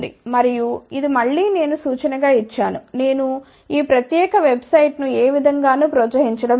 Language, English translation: Telugu, And, this again I have just given as a reference I am not promoting this particular website in any which way